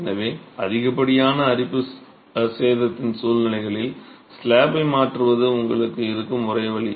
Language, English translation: Tamil, So, in situations of excessive corrosion damage, replacement of the slab is the only option that you would have